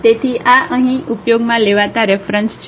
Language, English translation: Gujarati, So, these are the reference used here